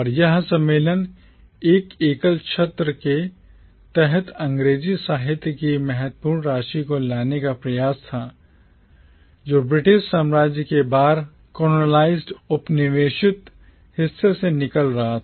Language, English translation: Hindi, And this conference was an effort to bring under a single umbrella the significant amount of English literature that was coming out of the once colonised part of the British empire